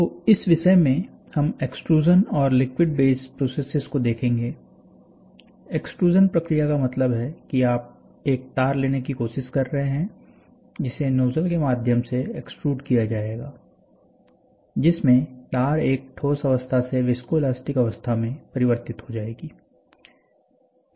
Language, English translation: Hindi, So this topic, we will see extrusion and liquid based processes, extrusion process means you are trying to take a wire which will be extruded through a nozzle, where in which, the wire from a solid state will get converted to viscoelastic state